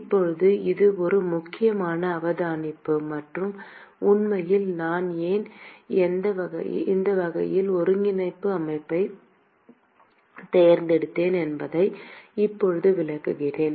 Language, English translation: Tamil, Now, this is an important observation and in fact, now I will explain why I chose this kind of a coordinate system